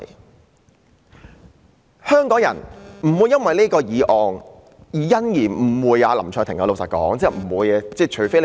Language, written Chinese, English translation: Cantonese, 老實說，香港人是不會因為這項議案而誤會林卓廷議員的。, Honestly Hong Kong people will not misunderstand Mr LAM Cheuk - ting because of this motion